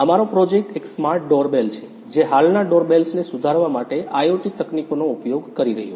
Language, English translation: Gujarati, Our project is a Smart Doorbell which is using the IoT technologies to improve the present day doorbells